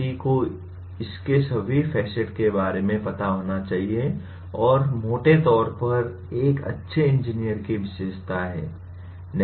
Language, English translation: Hindi, One should be aware of what are all its facets and these are broadly the characteristics of a good engineer